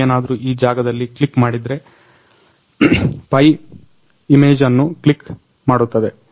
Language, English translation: Kannada, So, if you click on this place, the pi will click an image